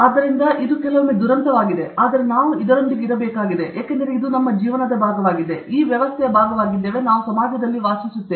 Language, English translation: Kannada, So, this is sometimes the tragedy, but we have to live with this, because it is a part of us, we are part of this system, we have to live in the society okay